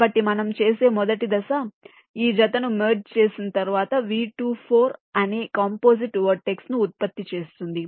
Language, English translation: Telugu, so the first step what we do: merge this sphere and generate a composite vertex called v two, four